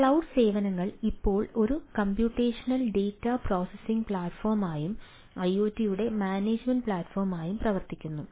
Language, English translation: Malayalam, cloud services now act as a computational data processing platform as well as management platform for iots right